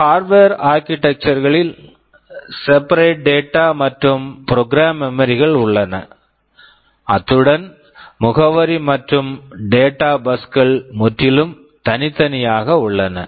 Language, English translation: Tamil, In Harvard architecture there are separate data and program memories, and address and data buses are entirely separate